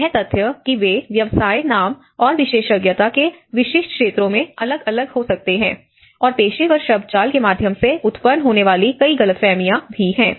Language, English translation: Hindi, The fact that these different professions can vary considerably from place to place both in name and the specific areas of expertise that they offer and also there are many misunderstandings arising through professional jargon